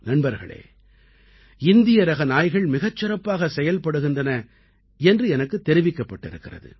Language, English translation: Tamil, Friends, I have also been told that Indian breed dogs are also very good and capable